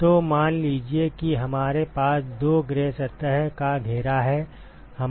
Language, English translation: Hindi, So, let us say we have a two gray surface enclosure